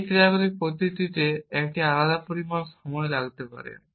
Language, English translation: Bengali, Each of these actions may take a different amount of time